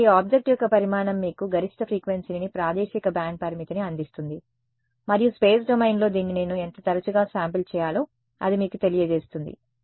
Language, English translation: Telugu, So, the size of the object gives you the maximum frequency the spatially band limit and that tells you how frequently I should sample this is sampling in the space domain